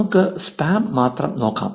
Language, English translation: Malayalam, Let us look at just the spam